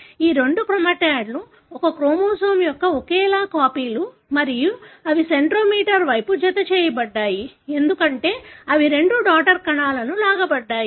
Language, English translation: Telugu, So, these two chromatids are identical copies of the same chromosome and they are attached towards the centromere, because they are about to be pulled to the two daughter cells